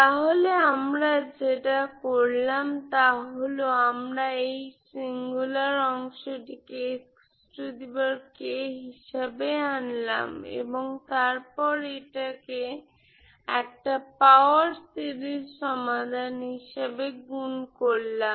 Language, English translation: Bengali, So what we did is so we we we brought out this singular part as x power k and then you multiply this as a power series solution